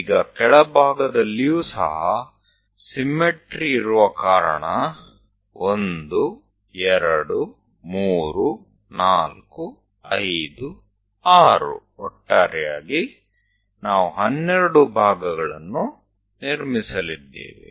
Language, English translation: Kannada, On the bottom side also, so because of symmetry again 1, 2, 3, 4, 5, 6; in total, 12 parts we are going to construct